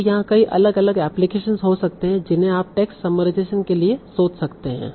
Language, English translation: Hindi, So there can be many different applications here that you can think of for text summarization